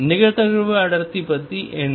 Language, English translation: Tamil, What about the probability density